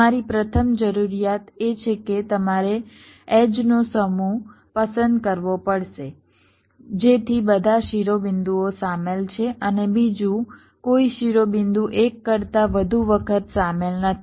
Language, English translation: Gujarati, your first requirement is that you have to select a set of edges such that all vertices are included and, secondly, no vertex is included more than once